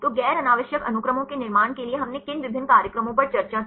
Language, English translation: Hindi, So, what are the various program we discussed to construct the non redundant sequences